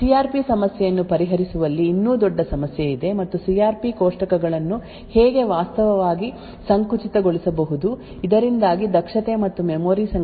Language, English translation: Kannada, There is still a huge problem of solving the CRP issue and how the CRP tables could be actually compressed so that the efficiency and the memory storage can be reduced